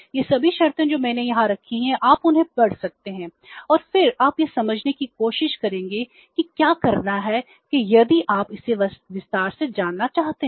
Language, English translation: Hindi, All these conditions I have put here you can read them and then you try to understand what the forfeiting is that if you want to know it in detail